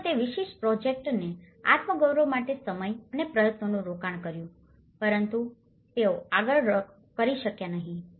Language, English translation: Gujarati, They have invested time and effort for their self esteem of that particular project but they were not able to do it further